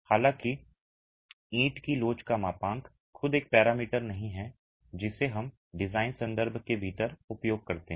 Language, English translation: Hindi, However, model is the elasticity of the brick itself is not a parameter that we use so much within the design context